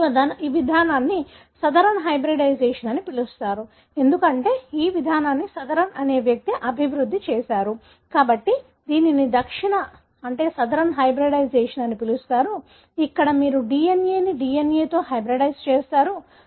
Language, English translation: Telugu, So, this approach is called as Southern hybridization, because, the approach was developed by a person named Southern, therefore it is called as Southern hybridization, where basically you hybridize a DNA with a DNA